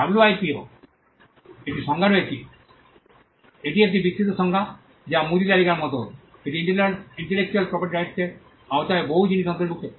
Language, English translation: Bengali, The WIPO has a definition on it is an expansive definition or which is more like a grocery list, it includes many things under the ambit of intellectual property rights